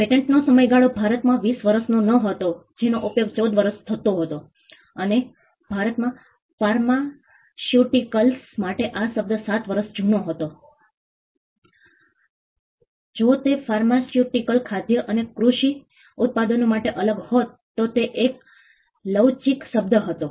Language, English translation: Gujarati, The duration of a patent was not 20 years in India it use to be 14 years and for pharmaceuticals in India the term used to be up to 7 years, it was a flexible term if it used to be different for pharmaceutical food and agricultural products the term used to be even lesser